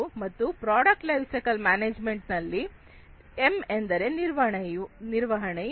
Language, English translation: Kannada, So, product lifecycle management, M stands for management